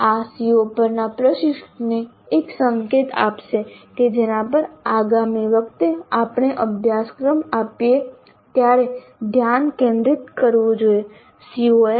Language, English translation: Gujarati, This will give an indication to the instructor on the COs regarding which the focus has to be more next time we deliver the course